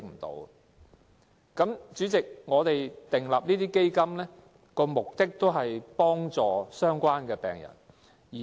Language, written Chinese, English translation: Cantonese, 代理主席，設立這些基金的目的，是要幫助相關病人。, Deputy President the purpose of the Fund is to help the patients concerned